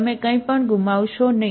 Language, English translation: Gujarati, You do not lose anything